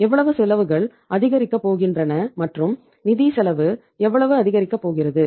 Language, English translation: Tamil, How much expenses are going to increase and how much the financial cost is going to increase